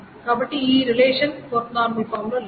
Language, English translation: Telugu, So this relation is not in 4NF